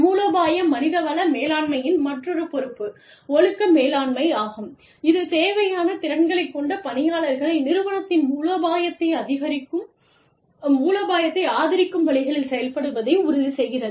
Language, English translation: Tamil, The other responsibility of, strategic human resource management is, behavior management, which is concerned with ensuring that, once individuals with the required skills are in the organization, they act in ways, that support the organizational strategy